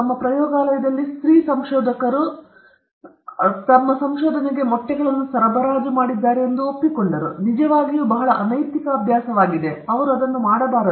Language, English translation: Kannada, He admitted that female researchers in his own lab had supplied eggs for his research, which is actually a very important unethical practice, he should not have done that